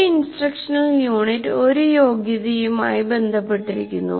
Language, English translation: Malayalam, So one instructional unit is associated with one competency